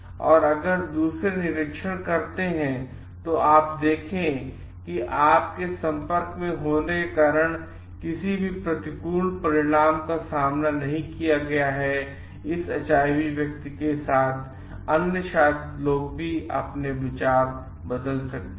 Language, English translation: Hindi, And if the others observe and see like you have not faced with any adverse consequences due to being in contact with this HIV person maybe others are going to change their views also